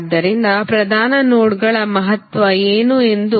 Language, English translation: Kannada, So, let us see what is the significance of the principal nodes